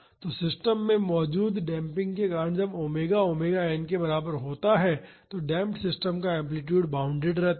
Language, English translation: Hindi, So, because of the damping present in the system, the amplitude of the damp system remains bounded when omega is equal to omega n